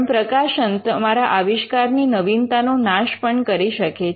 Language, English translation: Gujarati, But publications are also capable of killing the novelty of your invention